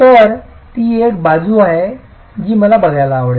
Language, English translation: Marathi, So, that's an aspect that I would like to look at